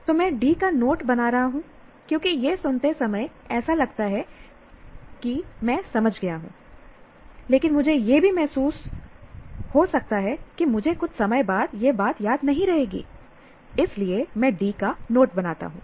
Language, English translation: Hindi, So I'm making note of D because while listening it looks like that I have understood, but also I may feel that I may not remember the same thing after some time